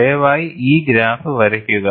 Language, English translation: Malayalam, And please draw this graph as well as possible